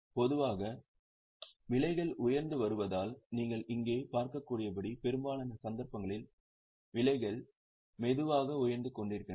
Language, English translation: Tamil, Generally since the prices are rising, you can have a look here, the prices are slowly rising in most cases as you can see here